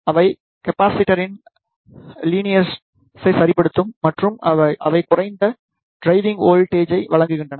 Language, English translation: Tamil, They provide linear tuning of the capacitor and they provide low driving voltage